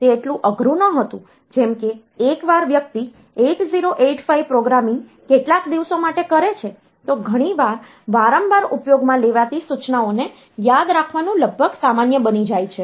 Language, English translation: Gujarati, It was not that difficult like once a person is doing the 8085 programming for some days, it often becomes almost common to remember the instructions that are used very frequently the codes for them